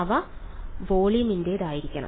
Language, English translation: Malayalam, They have to belong to volume